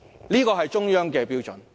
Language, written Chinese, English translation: Cantonese, 這是中央的標準。, These are the Central Governments standards